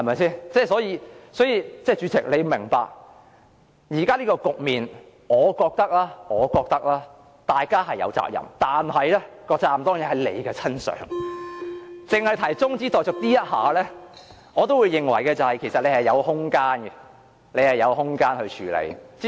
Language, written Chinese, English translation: Cantonese, 所以，主席要明白，現時這個局面，我認為大家是有責任的，但責任當然在主席身上，僅就中止待續議案而言，我也認為主席有空間處理。, For this reason the President needs to understand that in my view Members should be held accountable to the current situation but the President should certainly also be held accountable . As far as this adjournment motion is concerned I think the President has room to deal with it properly